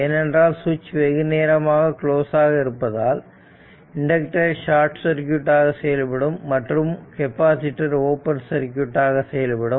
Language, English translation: Tamil, If the switch is closed for long time, that inductor will behave as a short circuit and for the capacitor it will behave as a for dc that open circuit